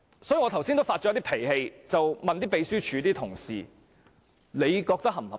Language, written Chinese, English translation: Cantonese, 所以我剛才有點動氣地問秘書處的同事，他們認為這樣是否合理呢？, That is why earlier on I asked colleagues of the Secretariat with a hint of anger whether they considered it reasonable